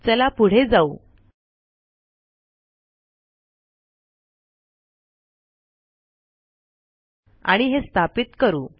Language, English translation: Marathi, So lets go ahead and install it